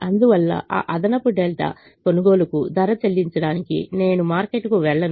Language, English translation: Telugu, therefore, i will not go to the market to pay a price to buy that extra delta